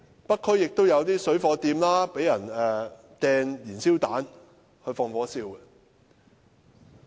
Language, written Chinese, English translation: Cantonese, 北區有些水貨店也曾被人投擲燃燒彈，放火燒鋪。, Some shops selling parallel imports had also been hit by fire bombs intending to set the shops ablaze